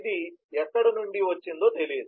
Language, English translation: Telugu, it did not know where did it come from